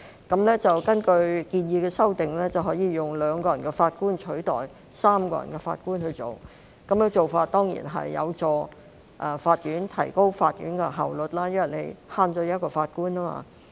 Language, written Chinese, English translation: Cantonese, 根據建議的修訂，以2名法官取代3名法官處理案件，此舉當然有助提高法院的效率，因為可減省一名法官。, According to the proposed amendments the substitution of a bench of three Judges with a bench of two Judges to dispose of these cases will certainly help to improve court efficiency because the number of Judges required can be reduced by one